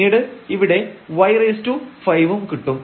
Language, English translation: Malayalam, So, here this y is 0